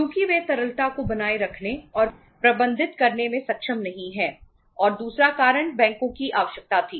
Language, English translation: Hindi, Because they are not able to maintain and manage the liquidity and second reason was the requirement of the banks, second reason was the requirement of the banks